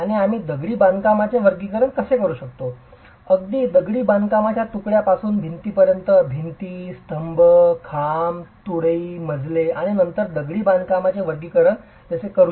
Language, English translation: Marathi, And we will also look at how we can classify masonry, right from masonry units to walls, different elements like walls, columns, pillars, beams, floors and then a classification of masonry systems